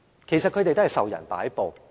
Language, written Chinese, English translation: Cantonese, 其實，他們也是受人擺布。, In fact they are also at the mercy of others